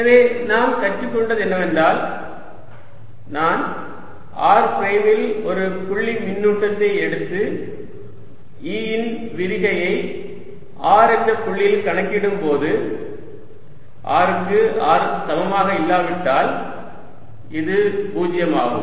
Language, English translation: Tamil, so what we have learned is: if i take a point charge q at position r prime and calculate divergence of e at some point r, this is zero for r not equal to r, right